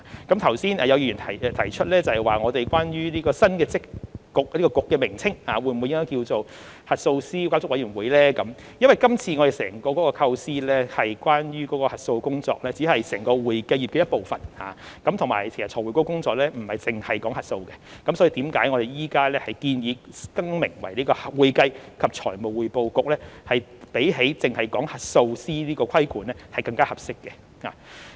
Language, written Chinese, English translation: Cantonese, 剛才有議員提出，關於該局新的名稱應否改為核數師監管委員會，因為今次我們整個構思中，有關核數師的工作只是整個會計業的一部分，而且財匯局的工作亦不只是核數，所以我們現時建議改名為"會計及財務匯報局"，相比只提及核數師的規管更為合適。, Just now a Member asked whether the new name of FRC should be changed to Auditors Regulatory Committee . In our entire proposition the work relating to auditors takes up only part of the whole accounting profession and FRCs work is not limited to auditing . For this reason our present proposal of renaming it as the Accounting and Financial Reporting Council is more appropriate than merely referring to the regulation of auditors